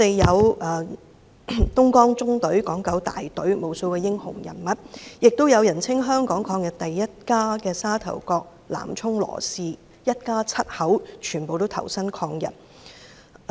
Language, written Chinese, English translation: Cantonese, 有東江縱隊、港九大隊的無數英雄人物，亦有人稱"港人抗日第一家"的沙頭角南涌羅氏家族，一家七口都投身抗日。, There were countless heroes in the East River Column and the Hong Kong - Kowloon brigade . Among them were the LAW Family from Nam Chung in Sha Tau Kok known as the Hong Kong family in the forefront against Japan invasion with all seven members of the family fighting against the Japanese armies